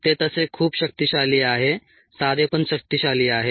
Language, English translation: Marathi, it is very ah powerful that way, simple but powerful ah